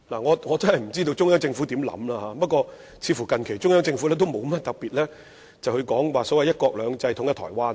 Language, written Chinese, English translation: Cantonese, 我不知道中央政府有何想法，但它近期似乎亦沒有特別提及"一國兩制"或統一台灣等。, I have no idea how the Central Government thinks but it seems that there has been no special mention of one country two systems or reunification with Taiwan lately